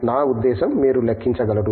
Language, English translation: Telugu, I mean you can simply count